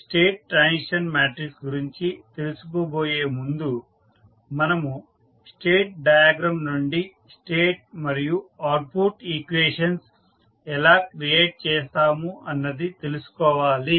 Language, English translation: Telugu, So, before going into the state transition matrix, let us first understand how you will create the state and output equations from the state diagram